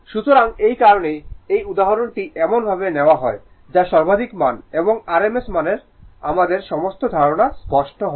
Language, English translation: Bengali, So, that is why this example is taken such that maximum value and rms value all the concept our concept will be clear